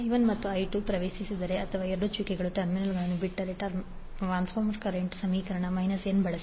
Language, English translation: Kannada, If I 1 and I 2 both enter into or both leave the dotted terminals, we will use minus n in the transformer current equations otherwise we will use plus n